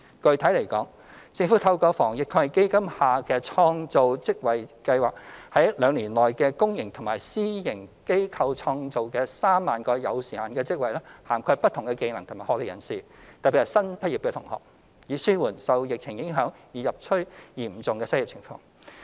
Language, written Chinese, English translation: Cantonese, 具體來說，政府透過防疫抗疫基金下的創造職位計劃，在兩年內於公營及私營機構創造約3萬個有時限的職位，涵蓋不同技能及學歷人士，特別是新畢業同學，以紓緩受疫情影響而日趨嚴峻的失業情況。, Specifically through the Job Creation Scheme under the Anti - epidemic Fund the Government will create around 30 000 time - limited jobs in the public and private sectors within two years for people of different skill sets and academic qualifications especially fresh graduates in order to alleviate the deteriorating unemployment situation under the epidemic